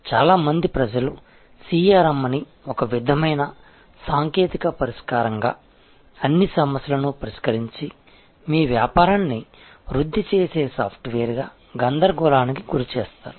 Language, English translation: Telugu, That many people confuse CRM as some sort of technology solution, some sort of software which will solve all problems and grow your business